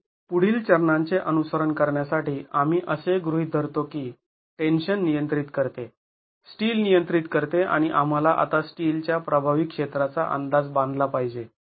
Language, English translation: Marathi, So, to follow on to the next step, we assume that tension controls, so the steel controls and we have to make now an estimate of the effective area of steel